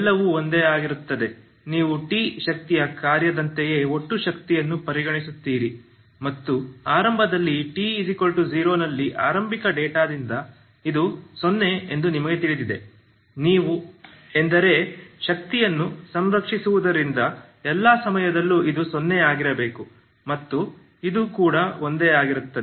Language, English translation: Kannada, So you consider the same way so everything is same so you consider the same total energy as the energy function of t and you know that initially at 0 t equal to 0 because of the initial data this is 0, okay that implies because energy is conserved so you have for all times this has to be 0 and this is also same, so this implies this is true